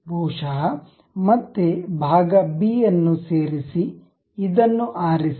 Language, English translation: Kannada, Perhaps again insert part b pick this one